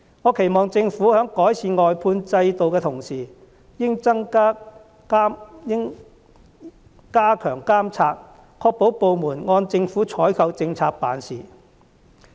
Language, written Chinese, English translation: Cantonese, 我期望政府在改善外判制度的同時，亦應加強監察，確保部門按政府的採購政策辦事。, I expect that the Government while improving the outsourcing system can also step up monitoring of government departments to make sure that they will follow the procurement policy